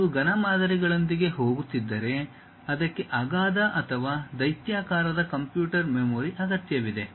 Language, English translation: Kannada, If you are going with solid models, it requires enormous or gigantic computer memory